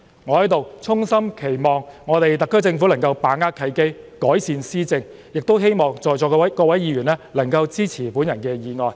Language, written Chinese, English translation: Cantonese, 我在此衷心期望特區政府能夠把握契機，改善施政，亦希望在席各位議員能夠支持我的議案。, I earnestly hope the SAR Government will seize this opportunity to improve its governance . And I also hope all Members present will support my motion